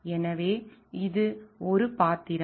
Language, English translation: Tamil, So, this is one of the role